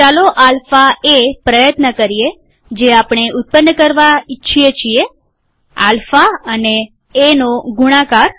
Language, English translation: Gujarati, Let us try alpha a, that is we want to generate, product of alpha and a